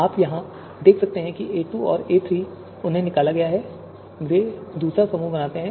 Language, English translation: Hindi, You can see here, a2 and a3, they have been extracted and they form the second group